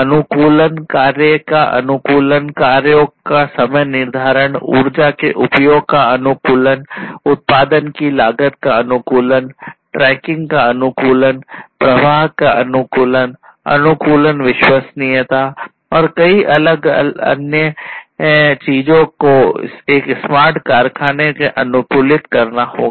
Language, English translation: Hindi, Optimization optimizing the tasks, scheduling of the tasks, optimizing the usage of energy, optimizing the cost of production, optimizing tracking, optimizing throughput, optimizing reliability, and many others many so, many different other things will have to be optimized in a smart factory